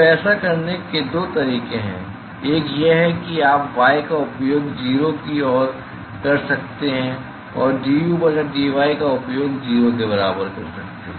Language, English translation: Hindi, So, there are two ways of doing this: one is you could use y tending to 0, you could also use du by dy equal to 0